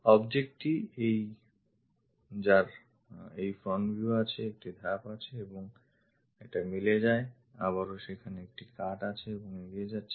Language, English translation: Bengali, The object that front view having this one having step and this one goes matches, again there is a cut and goes